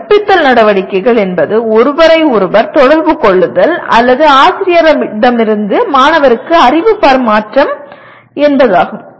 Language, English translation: Tamil, Instructional activities means in some kind of interaction or knowledge transfer from the teacher to the student